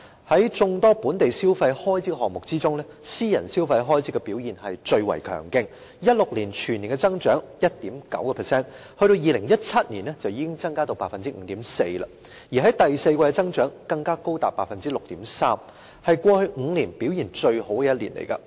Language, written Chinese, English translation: Cantonese, 在眾多本地消費開支項目之中，私人消費開支的表現最為強勁 ，2016 年全年增長 1.9%， 到了2017年便已經增加至 5.4%， 而第四季的增長更高達 6.3%， 是過去5年表現最好的一年。, Among different consumer spending items in the domestic market private consumption expenditure was the most robust with an increase from 1.9 % in 2016 to 5.4 % in 2017 . The growth rate in the fourth quarter of 2017 reached 6.3 % which was the highest in the past five years